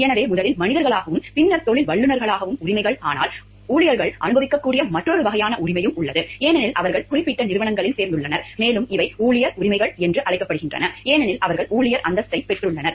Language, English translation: Tamil, So, first as human beings and then rights as professionals, but there is also another kind of right which the employees, which there is also another kind of right which they may enjoy, because they have joined particular organizations and these are called employee rights, because they have taken the status of employee